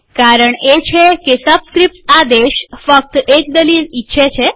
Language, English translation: Gujarati, The reason is that the subscript command expects only one argument